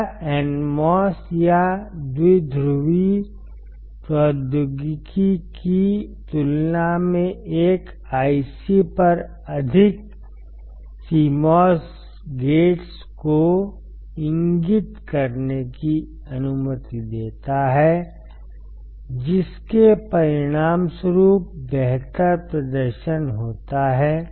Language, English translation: Hindi, This allows indicating more CMOS gates on an IC, than in NMOS or bipolar technology resulting in a better performance